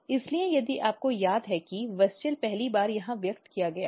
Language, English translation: Hindi, So, if you recall WUSCHEL is first expressed here